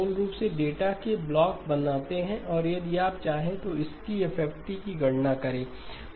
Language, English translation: Hindi, Basically create blocks of data and compute it is FFT if you wish